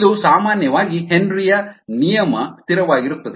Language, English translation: Kannada, this is usually the henrys law constant